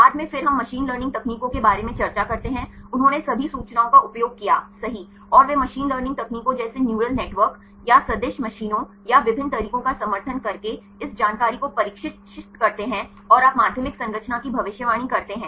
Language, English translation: Hindi, Later on then we discuss about the machine learning techniques, they used all the information right and they train this information using machine learning techniques like neural networks or support vector machines or different methods right and you predict the secondary structure